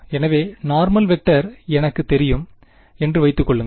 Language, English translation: Tamil, So, assume that I know the normal vector